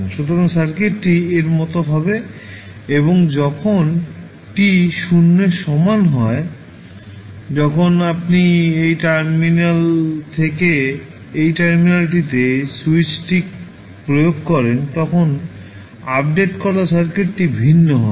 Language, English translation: Bengali, So, circuit would be like this and when at time t is equal to 0 when you apply the switch from this terminal to this terminal then the updated circuit would be different